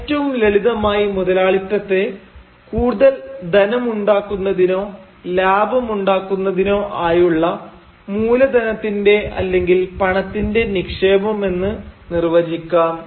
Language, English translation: Malayalam, Now, very simply put, capitalism can be defined as investment of money or capital to make more money, that is, profit